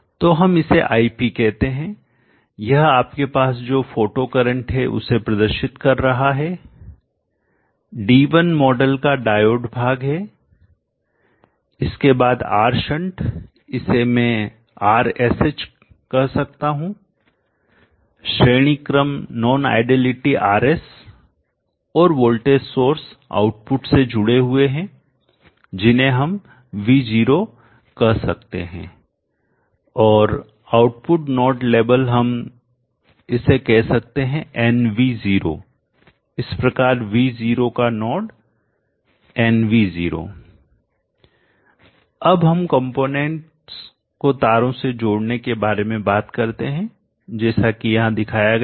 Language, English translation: Hindi, So let us say this is ID indicating the photocurrent you would have d1 is the diode part of the model then the R shunt I can say are SH the series non ideality RS and voltage holes to be connected to the output we can call it as V0 and the output node label we can call it as NV0 0 node of V0 0 NV0 like this